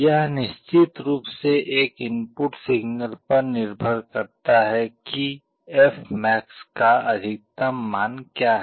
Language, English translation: Hindi, This of course depends on an input signal, what is the value of fmax